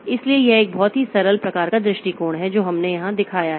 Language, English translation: Hindi, So, this is a very simplistic type of approach that we have shown here